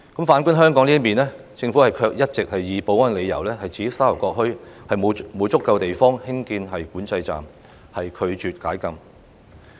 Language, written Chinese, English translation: Cantonese, 反觀香港，政府卻一直也以保安理由，指沙頭角墟沒有足夠地方興建管制站，拒絕解禁。, If we take a look at Hong Kong the Government has all along been rejecting the call for setting up a boundary control point at Sha Tau Kok Town and relaxing the restriction on the grounds of security reasons and insufficient space